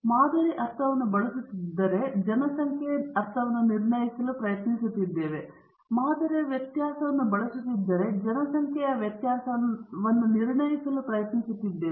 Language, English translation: Kannada, If we are using the sample mean, then we are trying to infer about the population mean; if you are using the sample variance, we are trying to infer about the population variance